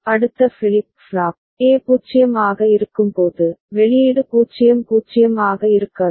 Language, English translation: Tamil, And next flip flop, when A is 0, the output will remain 0 0 no change